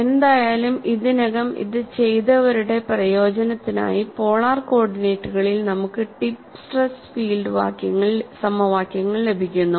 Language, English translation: Malayalam, Anyway, for the benefit of those who have already did this, we get the very near tip stress field equations in polar co ordinates